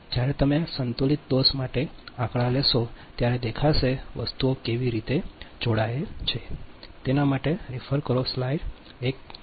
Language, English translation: Gujarati, when you will take the numericals for unbalanced fault, at that time will see how things are connected